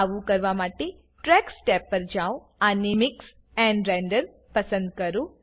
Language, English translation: Gujarati, To do so, go to the Tracks tab and select Mix and Render